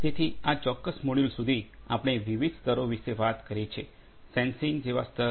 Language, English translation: Gujarati, So, far in this particular module, we have talked about different layers; layer such as sensing